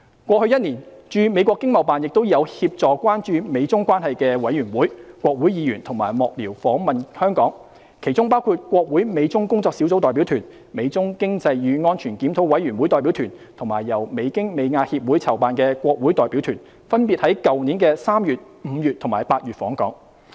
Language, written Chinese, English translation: Cantonese, 過去1年，駐美國經貿辦亦有協助關注美中關係的委員會、國會議員及幕僚訪問香港，其中包括國會美中工作小組代表團、美中經濟與安全檢討委員會代表團，以及由美京美亞協會籌辦的國會代表團，分別於去年3月、5月及8月訪港。, In the past year ETOs in the United States assisted in arranging for committees on United States - China relations as well as congressional members and staffers to visit Hong Kong including visits by a congressional delegation of the United States - China Working Group a delegation of the United States - China Economic and Security Review Commission and a congressional delegation organized by the United States - Asia Institute respectively in March May and August last year